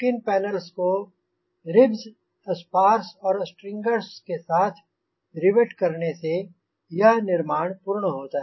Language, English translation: Hindi, the skin panels are riveted to ribs, spars and strangers to complete the structure